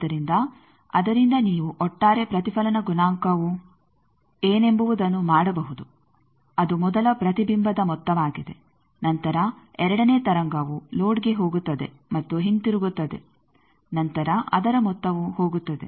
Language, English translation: Kannada, So, from that you can do this what is the overall reflection coefficient that is sum of the first reflection then the second wave going to load and coming back then the sum of that will be going